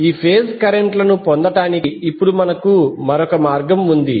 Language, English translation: Telugu, Now we have another way to obtain these phase currents